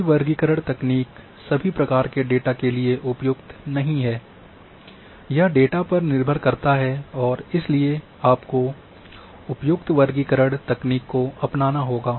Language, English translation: Hindi, For all classification techniques are not suitable for all types of data it depends on the data, and therefore appropriate classification technique has to be adopted